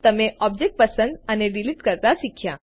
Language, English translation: Gujarati, You learnt to select and delete an object